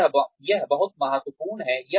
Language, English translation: Hindi, So, this is very, important